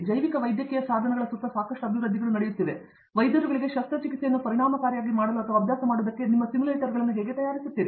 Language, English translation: Kannada, There is lot of development happening around bio medical devices, how do you make simulators for making a surgery efficient or making giving practice to the doctors and things like that